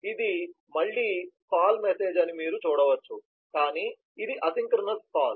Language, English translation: Telugu, you can see this is again a call message, but this is an asynchronous call